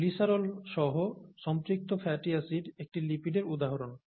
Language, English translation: Bengali, Saturated fatty acid with glycerol is an example of a lipid